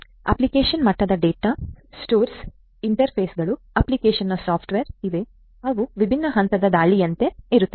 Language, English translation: Kannada, At the application level data stores, interfaces, application software are there which are like different points of attack